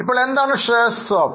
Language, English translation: Malayalam, Now, what is a share swap